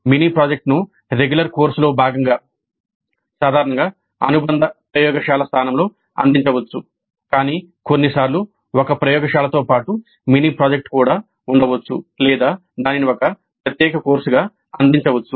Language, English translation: Telugu, The mini project again can be offered as a part of a regular course usually in the place of an associated lab but sometimes one can have a lab as well as a mini project or it can be offered as a separate course by itself